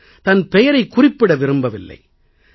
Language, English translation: Tamil, The gentleman does not wish to reveal his name